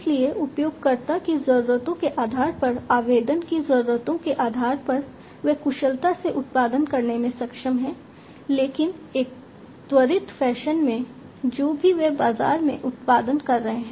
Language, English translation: Hindi, So, depending on the user needs, depending on the application needs, they are able to produce efficiently, but in an accelerated fashion, whatever they are producing in the market